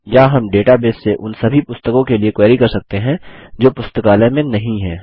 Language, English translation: Hindi, Or we can query the database for all the books that are not in the Library